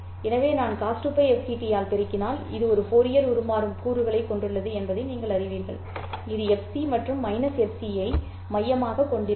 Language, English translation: Tamil, So, if I multiply by cost 2 pi of c t, you know that this has a Fourier transform components which will be centered at FC and minus FC